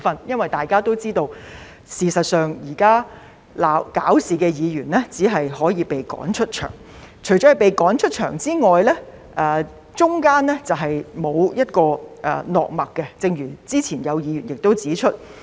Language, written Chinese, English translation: Cantonese, 因為大家也知道，事實上，現時鬧事的議員只可以被趕出場，除了被趕出場外，中間是沒有一個落墨點的，正如之前亦有議員指出。, It is because we all know that in fact the Member who has caused trouble can only be asked to leave the Chamber and apart from asking him or her to leave the Chamber there are no other alternatives in between as also pointed out by some Members earlier